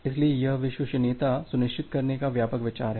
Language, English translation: Hindi, So, this is the broad idea of ensuring reliability